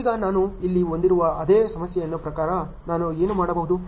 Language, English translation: Kannada, Now, according to the same problem which I have here what can I do